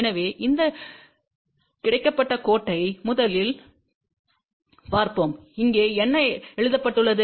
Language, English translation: Tamil, So, let us see first of all this horizontal line what is written over here